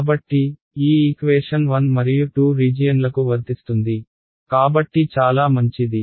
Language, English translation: Telugu, So, this one equation is true for regions 1 and 2, so for so good